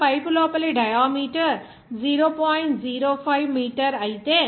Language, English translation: Telugu, Now, if the inside diameter of the pipe is 0